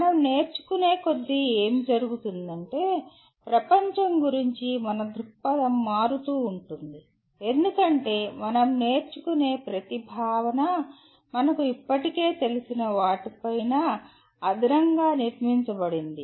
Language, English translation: Telugu, And what happens, as we keep learning our view of the world keeps changing because we are anything new that we acquire is built on top of what we already know